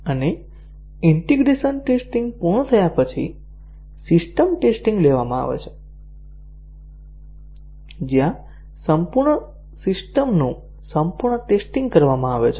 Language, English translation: Gujarati, And, after the integration testing is over, the system testing is taken up, where the full system is tested as a whole